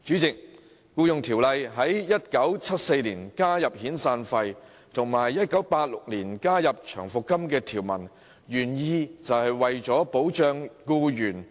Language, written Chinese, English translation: Cantonese, 《僱傭條例》在1974年加入有關遣散費的條文，並在1986年加入有關長期服務金的條文，原意是為了保障僱員。, The original intent of adding provisions related to severance payment and long service payment to EO in 1974 and 1986 respectively was to afford employees protection